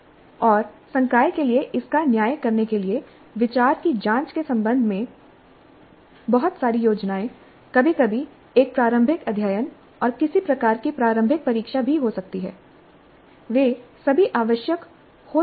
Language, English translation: Hindi, And for faculty to judge this, a lot of planning upfront with respect to examining the idea, maybe sometimes even a pilot study and some kind of a preliminary test, they all may be essential